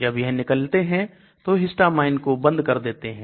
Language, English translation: Hindi, So they block histamine when it gets released